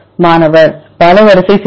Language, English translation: Tamil, multiple sequence alignment